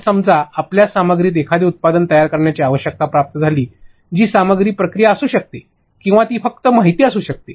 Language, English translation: Marathi, So, suppose you get the requirement of creating a product for content that is what content could be a process, or it could be simply information